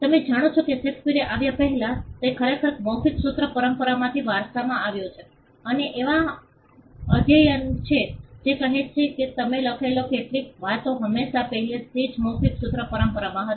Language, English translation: Gujarati, You know just before Shakespeare came in, he actually inherited from a oral formulaic tradition and there are studies which say that some of the things that he wrote were already there in the oral formulaic tradition